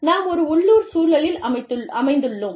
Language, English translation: Tamil, We are situated, in a local context